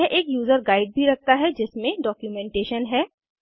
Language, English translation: Hindi, It also has a user guide which contains the documentation